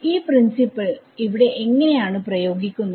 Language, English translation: Malayalam, So, how will apply this principle here